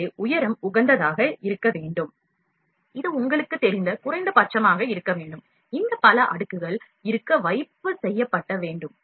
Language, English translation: Tamil, So, the height has to be optimized, it has to minimum you know, these many number of layers have to be deposited